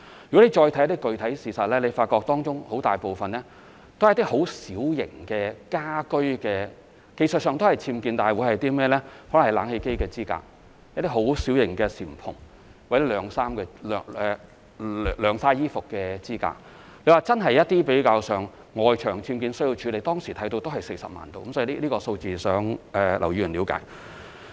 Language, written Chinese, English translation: Cantonese, 如果再看一些具體事實，會發覺當中很大部分是一些很小型的家居上的僭建，可能是冷氣機支架、小型簷篷或晾曬衣服的支架，當時在外牆僭建而真正需要處理的大約是40萬宗，希望劉議員了解這個數字。, Some specific cases showed that a large majority of those UBWs were minor and residential such as supporting frames for air - conditioners small canopies or drying racks . At that time there were approximately 400 000 cases of external UBWs which genuinely needed handling and I hope that Mr LAU can understand this figure